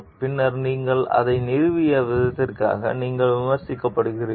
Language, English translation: Tamil, Afterward you are criticized for the way that you installed it